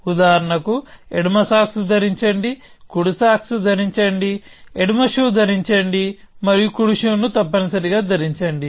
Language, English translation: Telugu, The only thing that you have to do is to wear the left sock before you wear the left shoe and wear the right sock before you wear the right shoes